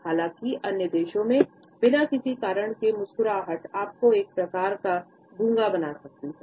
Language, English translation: Hindi, In other countries though, smiling for no reason can make you seem kind of dumb